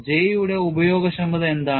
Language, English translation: Malayalam, What are the usefulness of J